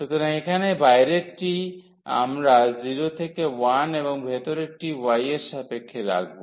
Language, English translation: Bengali, So, here the outer one we keep as 0 to 1 and the inner one with respect to y